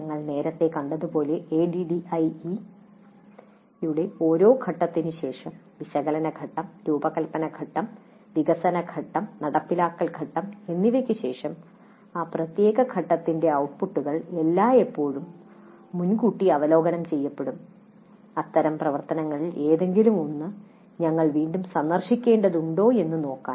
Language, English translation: Malayalam, As we saw earlier also, after every phase of the ADD, after analysis phase, design phase, develop phase, implement phase, the outputs of that particular phase are always pre reviewed to see if we need to revisit any of those activities